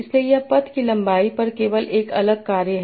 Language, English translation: Hindi, So this is just a different function over path length